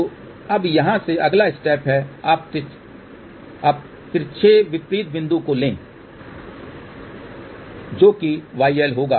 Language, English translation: Hindi, So, from here now thus next step is you take the diagonally opposite point which will be y L